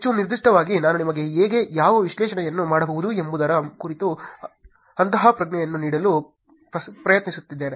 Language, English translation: Kannada, Most specifically I was trying to give you an intuition about how, what analysis can be done